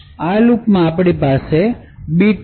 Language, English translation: Gujarati, In this particular loop we have a bit